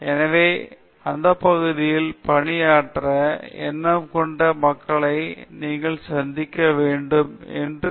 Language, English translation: Tamil, So, one thing I noticed was as people already said you get to meet lot of people, like minded people that are working in your area